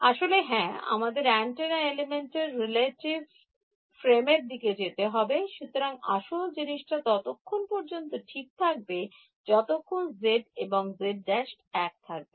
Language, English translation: Bengali, Actually yeah, we have to move to the relative frame of the antenna element, so, even the original thing is fine as long as you are sure that z and z prime are in the same